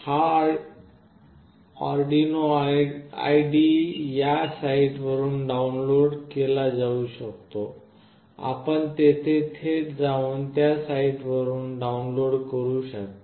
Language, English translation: Marathi, This Arduino IDE can be downloaded from this particular site, you can directly go there and download from that particular site